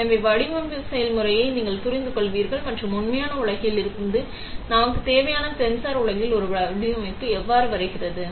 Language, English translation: Tamil, So, that you understand the design process and how our requirement from real world comes down to a design in the sensor world